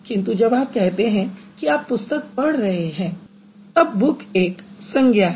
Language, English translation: Hindi, But when you say I'm reading a book, it's a noun